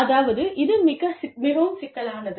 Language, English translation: Tamil, I mean, it is very, very, very complex